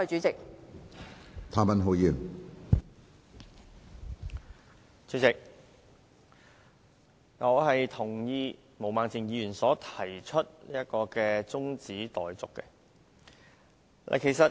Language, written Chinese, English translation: Cantonese, 主席，我贊同毛孟靜議員提出的中止待續議案。, President I agree to the motion moved by Ms Claudia MO on adjournment of the debate